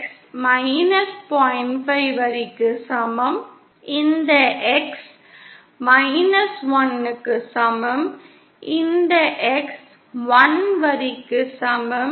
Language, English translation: Tamil, 5 line: this is X equal to 1 line, this is X equal to 1 line